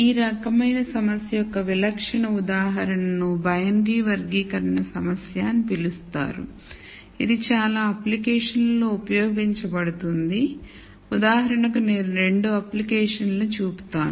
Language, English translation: Telugu, So, typical example of this type of problem is called a binary classification problem which is used in many applications I will point out 2 applications for example